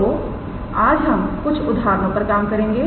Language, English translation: Hindi, So, today we will work out few examples